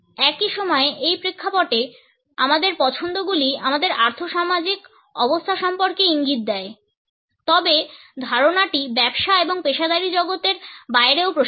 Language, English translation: Bengali, At the same time our choices in this context convey clues about our socio economic status, however the idea extends beyond the business and the professional world